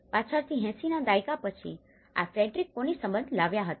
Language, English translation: Gujarati, Later on, in after 80s where Frederick Connie and had brought the relation